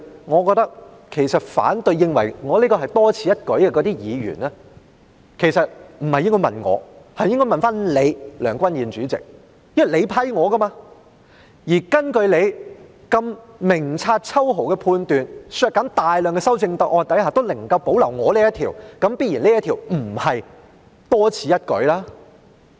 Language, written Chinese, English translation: Cantonese, 我覺得認為我的修正案是多此一舉的議員不應該問我，而是應該問你，梁君彥主席，因為是你批准我提出的，而根據你明察秋毫的判斷，在削減大量的修正案下仍能夠保留我這項修正案，這必然不是多此一舉。, I think the Member who cosniders my amendment superfluous should direct the question not to me but to you President Andrew LEUNG because it was you who gave me permission to propose it and according to your astute discerning judgment if this amendment of mine can remain when the number of amendments is cut substantially I would say that it is definitely not superfluous